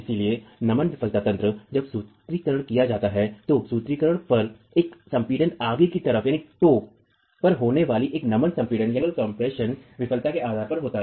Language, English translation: Hindi, So, the flexual failure mechanism, when the formulation is made, the formulation is based on a flexual compression failure occurring at the compressed toe